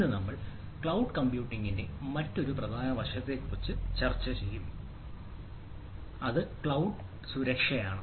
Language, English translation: Malayalam, today we will be discussing on ah another major aspect of this ah cloud computing, which is ah which we can say cloud security